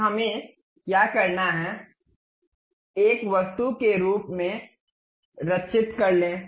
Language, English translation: Hindi, Now, what we have to do save this one as an object